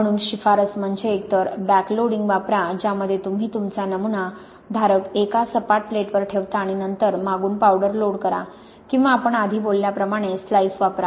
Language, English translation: Marathi, So the recommendation is either to use what is called backloading which is where you put your sample holder on a flat plate and then to load the powder from the back, or to use slices as we talked about before